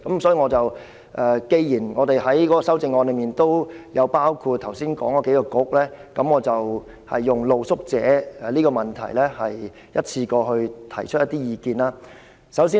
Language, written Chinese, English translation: Cantonese, 所以，既然我們的修正案都包括剛才提及的數個政策局，我便就露宿者的問題，一次過提出一些意見。, As the several bureaux that I mentioned just now are all covered in our amendments I will advance some suggestions about the issue of street sleepers